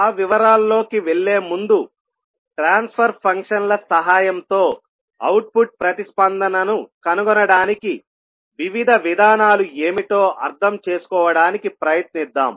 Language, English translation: Telugu, So, before going into that detail, let us try to understand that what are the various approaches to find the output response with the help of transfer functions